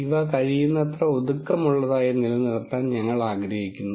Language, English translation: Malayalam, We would like to keep these as compact as possible